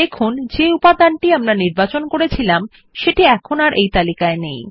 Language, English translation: Bengali, We see that the item we chose is no longer on the list